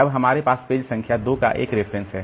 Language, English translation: Hindi, Now it is referring to page number 1